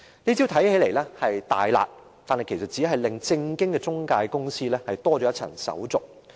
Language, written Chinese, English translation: Cantonese, 這招看起來是"大辣"，但這實際上只是令正當的中介公司多了一重手續。, This measure seems to be the harshest yet it has only obligated scrupulous intermediary companies to complete an additional procedure